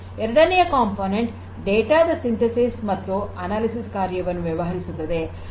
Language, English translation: Kannada, Second is the component that deals with the synthesis and analysis of the data